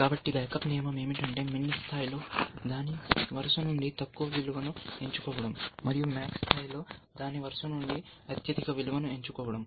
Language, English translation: Telugu, So, the backup rule let we said, that at min level, choose the lowest value from it is successive, and at max level, choose the highest value from it successive